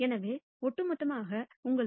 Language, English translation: Tamil, So, overall gives you 1 minus 0